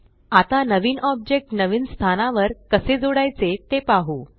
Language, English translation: Marathi, Now let us see how we can add a new object to a new location